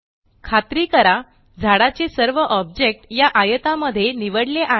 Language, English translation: Marathi, Ensure all the objects of the tree are selected within this rectangle